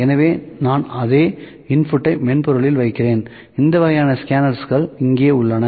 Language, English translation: Tamil, So, I am putting the same input the software so that kinds of scanners here